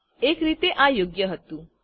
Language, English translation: Gujarati, In a way it is correct